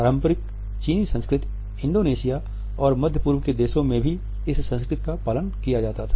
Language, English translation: Hindi, The same was followed in conventional Chinese culture also in Indonesia in countries of the Middle East also